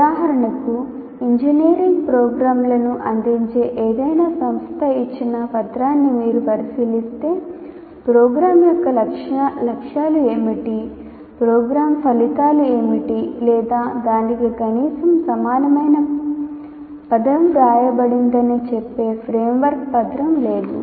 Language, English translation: Telugu, For example, if you look at any document given by any institution offering engineering programs, there is no framework document saying that what are the objectives of the program, what are the program outcomes or at least any equivalent word for that